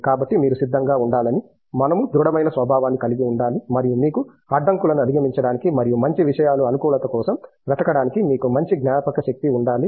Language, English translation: Telugu, So, that you should be willing to, we should have both the robust nature and you should have the tenacity to overcome hurdles and look for better things positivity